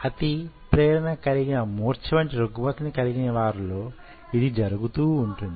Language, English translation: Telugu, of course it does happen in people who suffers from hyper excitable disorders like epilepsy